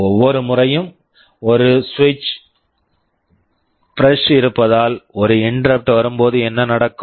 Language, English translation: Tamil, Every time there is a switch press means an interrupt is coming what will happen